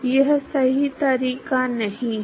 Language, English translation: Hindi, That is not a correct approach